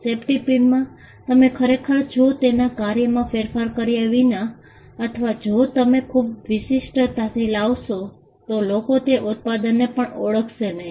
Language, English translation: Gujarati, Safety pin without actually changing its function or if you make bring too much uniqueness people may not even identify the product